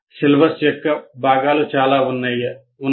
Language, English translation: Telugu, That is what syllabus is